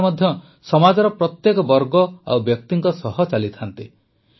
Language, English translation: Odia, God also walks along with every section and person of the society